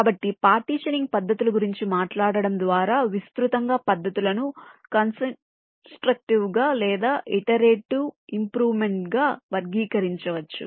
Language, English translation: Telugu, so, talking about the partitioning techniques, broadly, the techniques can be classified as either constructive or something called iterative improvement